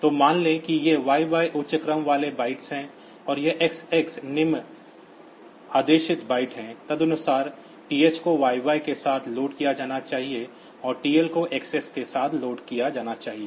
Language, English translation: Hindi, So, suppose this is these are these are the higher ordered, it is the higher ordered byte this XX is the lower ordered byte accordingly, the TH should be loaded with YY and TL should be loaded with XX